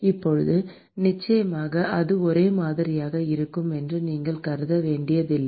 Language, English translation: Tamil, Now, of course, you do not have to assume that to be uniform